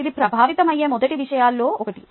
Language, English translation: Telugu, thats one of the first things that would get affected